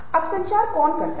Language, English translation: Hindi, now, what communicates